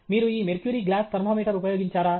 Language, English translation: Telugu, Have you used this mercury in glass thermometer